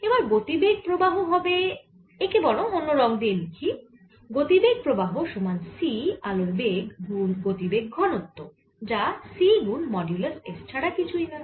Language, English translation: Bengali, right now, momentum flow is going to be equal to: so let's write it in a different color momentum flow is going to be c, the speed of light with which it flows times the momentum density, which is nothing but c times modulus of s